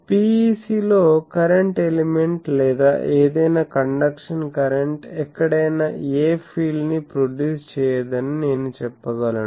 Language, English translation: Telugu, So, I can say that current element on or the any conduction current on a PEC does not produce anywhere any field